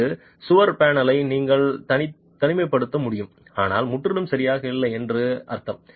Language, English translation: Tamil, It means that you should be able to isolate this wall panel but not completely